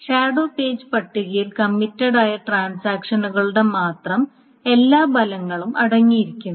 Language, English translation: Malayalam, The shadow page table contains all the efforts of only the committed transactions